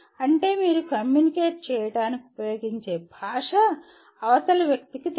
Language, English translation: Telugu, That means the language that you use to communicate is known to the other person